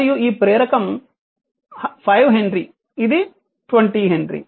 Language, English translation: Telugu, And this inductor is 5 henry this is 20 henry